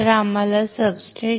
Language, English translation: Marathi, So, first we require is a substrate